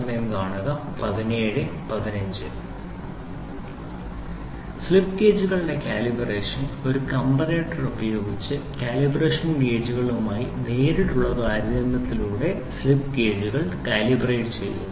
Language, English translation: Malayalam, Calibration of slip gauges; slip gauges are calibrated by direct comparison with calibration gauge using a comparator